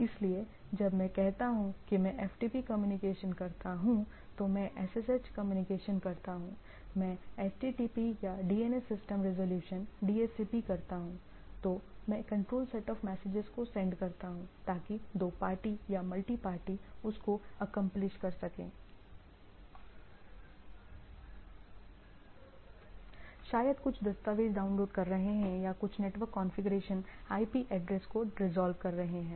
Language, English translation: Hindi, So, when I say that I do FTP communication, I do a SSH communication, I do a HTTP or a DNS system resolution, DHCP, so, I do a control set of messages right so, that where between two party or multiparty to accomplish given task right; so, some maybe downloading some documents or some maybe resolving some network configuration IP address and so and so forth